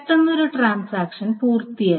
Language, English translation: Malayalam, , and suddenly one transaction finishes